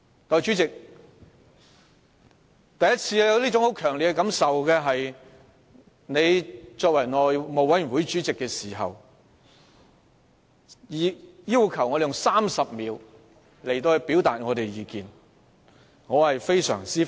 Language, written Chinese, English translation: Cantonese, 代理主席，我首次有這種強烈的感受，是當你出任內務委員會主席期間只給予議員30秒表達意見的時候。, Deputy President the first time that I was overwhelmed by such strong feelings was when you as Chairman of the House Committee only allowed Members 30 seconds to express their views